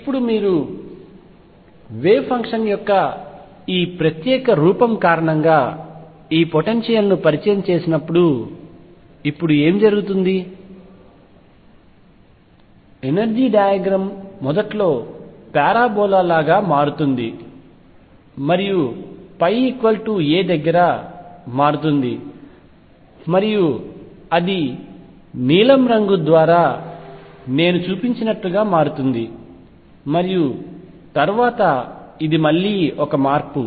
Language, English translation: Telugu, Now what happens now when you introduce this potential because of this particular form of the wave function, the energy diagram becomes like the parabola initially and then it changes near pi equals a it changes and becomes like what I have shown through blue colour, and after this again there is a change